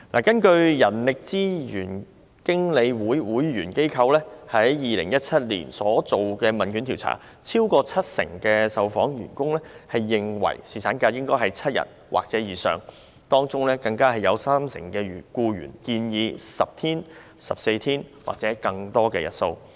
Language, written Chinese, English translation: Cantonese, 根據人力資源經理會會員機構於2017年所進行的一項問卷調查，超過七成受訪僱員認為侍產假應為7天或以上，當中更有三成僱員建議10天、14天或更多日數。, According to the questionnaire survey conducted with the member establishments of the Labour Departments Human Resources Managers Clubs in 2017 over 70 % of the respondent employees considered that paternity leave should be seven days or more . Among them 30 % even suggested 10 days 14 days or longer duration